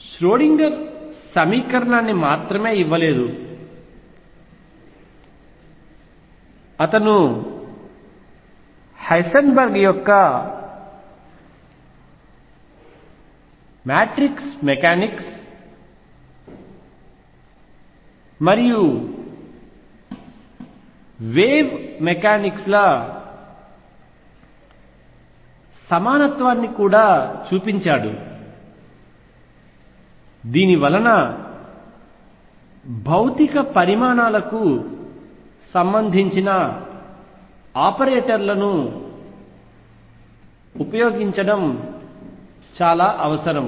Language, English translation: Telugu, So, what was known as the Schrodinger equation not only Schrodinger gave the equation he also showed the equivalence of Heisenberg’s matrix mechanics and wave mechanics this necessitated the use of operators corresponding to physical quantities